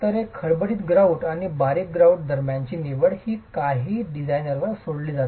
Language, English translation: Marathi, So the choice between a coarse grout and a fine grout is something that is left to the designer